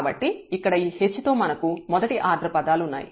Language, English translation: Telugu, So, we have the first order terms here with this h